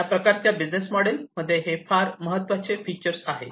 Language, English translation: Marathi, So, this is an important feature of the cloud based business model